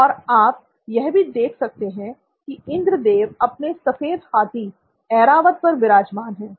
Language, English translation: Hindi, And what you also see is, Lord Indra riding on his “Airavat” or white elephant